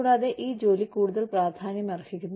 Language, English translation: Malayalam, And, so this job, becomes more important